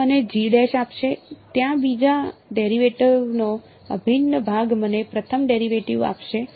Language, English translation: Gujarati, It will give me G dash, there integral of the second derivative will give me first derivative right